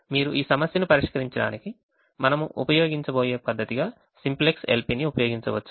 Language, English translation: Telugu, you could use simplex l p as the method that we are going to use to solve this problem